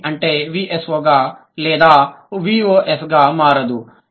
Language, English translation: Telugu, SOV doesn't immediately become that